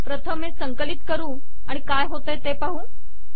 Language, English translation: Marathi, Lets first compile it and see what happens